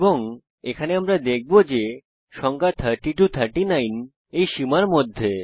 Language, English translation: Bengali, And here we will see that the number is in the range of 30 to 39